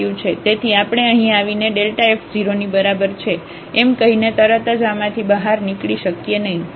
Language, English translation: Gujarati, So, we cannot conclude out of this immediately by having this that this is here greater than equal to 0